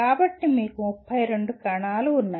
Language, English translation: Telugu, So you have 32 cells